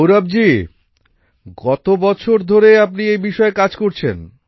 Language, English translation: Bengali, Gaurav ji for how many years have you been working in this